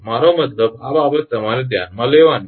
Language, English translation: Gujarati, I mean these are the thing you have to consider